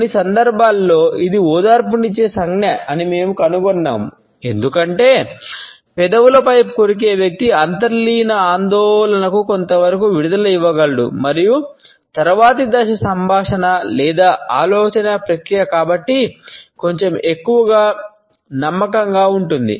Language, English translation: Telugu, At moments we find that it can be a comforting gesture also, because by biting on the lips the person is able to give vent to the underlying anxiety to a certain extent and the next phase of conversation or thought process can therefore, be slightly more confident